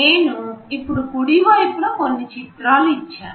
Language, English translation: Telugu, Now on the right side I have given some pictures